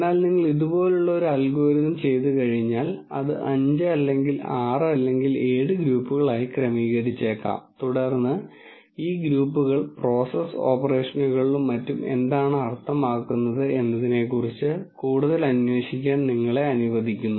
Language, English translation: Malayalam, But once you do an algorithm like this then it maybe organizes this into 5 or 6 or 7 groups then that allows you to go and probe more into what these groups might mean in terms of process operations and so on